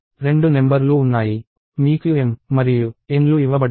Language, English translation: Telugu, There are two numbers: m and n that are given to you